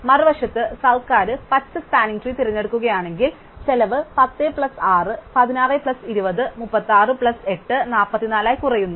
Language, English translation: Malayalam, On the other hand, if the government chooses green spanning tree, then the cost reduces to 10 plus 6 is16 plus 20 is 36 plus 8 is 44